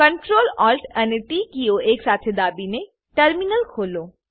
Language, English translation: Gujarati, Open the terminal by pressing Ctrl, Alt and T keys simultaneously